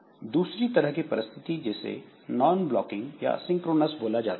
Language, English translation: Hindi, There is another type of situation which is known as non blocking or asynchronous situation